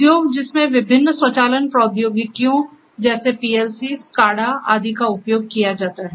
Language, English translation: Hindi, Industries which support different automation technologies such as PLCs, SCADAs etc